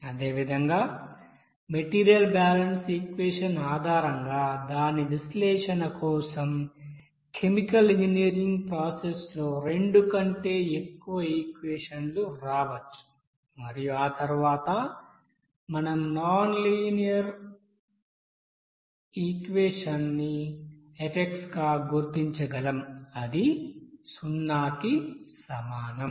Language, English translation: Telugu, And we can see that similarly there may be more than two equations will coming in the you know chemical engineering process for its analysis based on the material balance equation and after that we can you know recognize these set of nonlinear equation as a you know f that will be equals to 0 like this